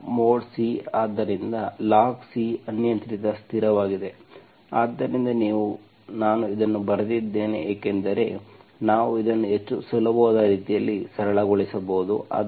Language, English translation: Kannada, Log mod C, so log C is an arbitrary constant, so you, I wrote this because we can simplify this in much easier way